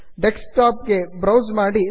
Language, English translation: Kannada, Browse to the desktop